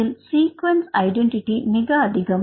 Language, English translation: Tamil, So, here the sequence identity is very high